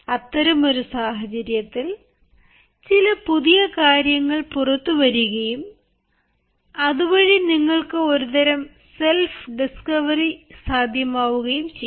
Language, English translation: Malayalam, in such a situation, suddenly you will find there is something new that can come out and through this you can have a sort of self discovery